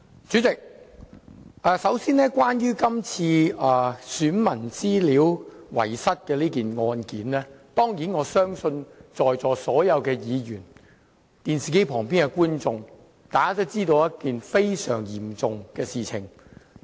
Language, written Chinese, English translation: Cantonese, 主席，首先，關於遺失選民資料案件，我相信在座所有議員、電視機旁的觀眾都知道這是一件非常嚴重的事情。, President first of all regarding the loss of electors information I believe Members here and the people watching the television broadcast of this Council meeting at home all know that it is a very serious matter